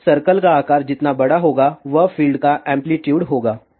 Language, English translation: Hindi, So, larger the size of the circle higher will be the amplitude of the fields